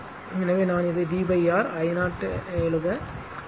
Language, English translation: Tamil, So, this is starting from here 0